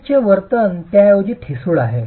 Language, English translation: Marathi, The behavior of the unit is rather brittle